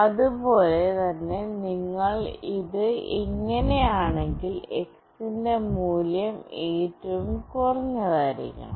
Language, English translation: Malayalam, Similarly if you hold it like this, value of X should be minimum